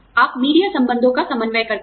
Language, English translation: Hindi, You coordinate media relations